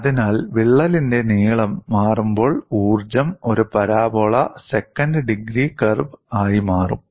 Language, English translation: Malayalam, So, when the crack length changes, the energy would change as a parabola, second degree curve